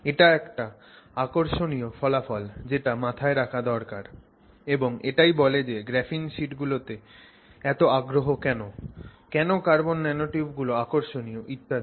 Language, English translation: Bengali, So, that's a very interesting research to keep in mind and that tells us why there is so much interest in graphene sheets, there is so much interest in carbon nanotubes and so on